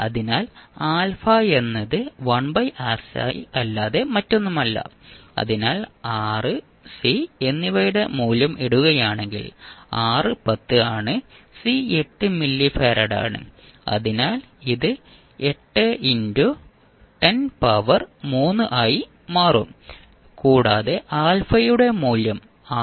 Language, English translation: Malayalam, So alpha is nothing but 1 by 2RC, so if you put the value of R and C, R is 10, C is 8 milli farad so it will became 8 into 10 to the power 3 and we get the value of alpha as 6